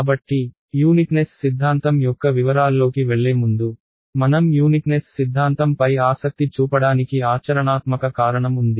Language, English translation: Telugu, So, before we go in to the details of the uniqueness theorem, there is a very practical reason why we should be interested in something which is uniqueness and that is this